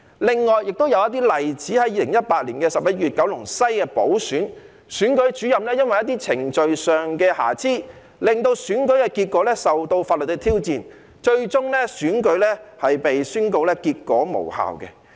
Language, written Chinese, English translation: Cantonese, 另外亦有一些例子，在2018年11月的九龍西補選中，選舉主任因為一些程序上的瑕疵，令選舉結果受到法律的挑戰，最終選舉被宣告結果無效。, Besides there are also some other examples . In the Kowloon West By - election held in November 2018 the election result was challenged legally due to some procedural deficiencies on the part of the Returning Officer . In the end the election result was invalidated